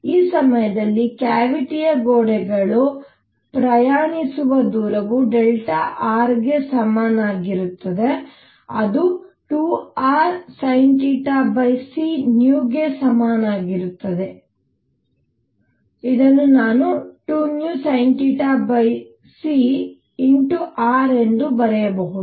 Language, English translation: Kannada, So, the distance travelled by the cavity walls in this time is going to be equal to delta r which is equal to 2 r sin theta over c times v which is I can write as 2 v sin theta over c times r